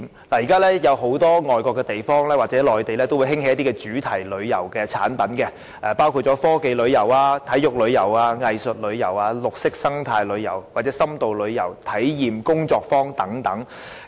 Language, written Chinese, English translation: Cantonese, 現時外國很多地方或內地也興起一些主題旅遊產品，包括科技旅遊、體育旅遊、藝術旅遊、綠色生態旅遊、深度旅遊或體驗工作坊等。, At present in many places overseas as well as the Mainland products of thematic tourism have become popular . These tours include tech tours sports tours arts tours green and eco tours in - depth tours and experiential tours and so on